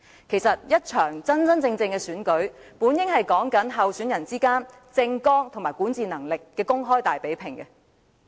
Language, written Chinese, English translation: Cantonese, 其實，一場真正的選舉本應是候選人之間的政綱和管治能力的公開大比併。, In fact a genuine election is supposed to be an open contest among candidates in terms of their election manifestos and abilities to govern